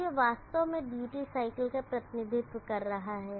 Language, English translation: Hindi, Now this is actually representing the duty cycle